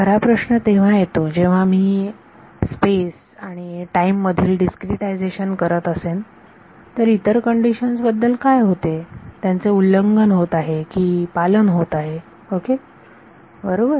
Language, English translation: Marathi, So, the actual question comes is when I am doing this discretization in space and time, what happens to the other conditions are they beings violated or are they being respected right